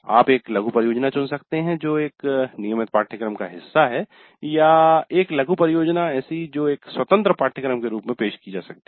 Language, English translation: Hindi, You can choose a mini project that is part of a regular course or a mini project offered as an independent course